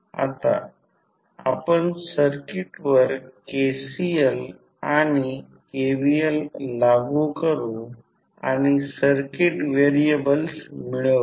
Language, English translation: Marathi, Now, let us apply KCL and KVL to the circuit and obtain the circuit variables